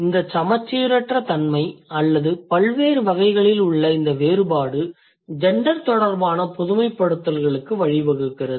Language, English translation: Tamil, So, this asymmetry or this difference in various categories brings to a generalization related to gender, right